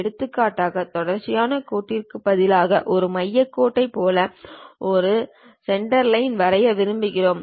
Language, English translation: Tamil, For example, like a center line instead of a continuous line we would like to draw a Centerline